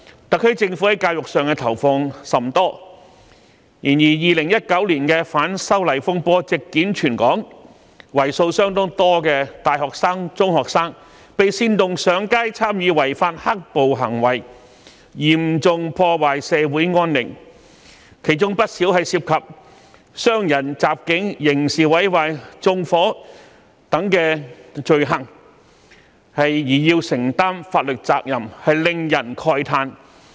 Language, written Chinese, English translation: Cantonese, 特區政府在教育方面投放甚多資源，但2019年的反修例風波席捲全港，為數甚多的大學生、中學生被煽動上街參與違法"黑暴"行為，嚴重破壞社會安寧，其中不少人涉及傷人、襲警、刑事毀壞、縱火等罪行，須承擔法律責任，令人慨嘆。, While the SAR Government has invested a lot of resources in education it is utterly regrettable that during the disturbances arising from the opposition to the proposed legislative amendment that swept across the territory in 2019 a large number of university and secondary students had been incited to take to the streets and take part in illegal black - clad violence which seriously breached public peace . Many of them had to assume legal responsibilities for crimes involving wounding assault of police criminal damage arson etc